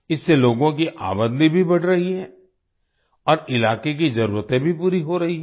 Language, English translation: Hindi, On account of this the income of the people is also increasing, and the needs of the region are also being fulfilled